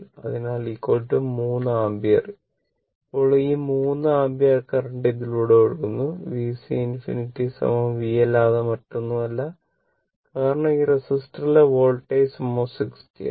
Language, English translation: Malayalam, So, is equal to 3 ampere right, then this 3 ampere current is flowing through this and V C infinity is nothing but the V; because voltage act was this is resistor 60, right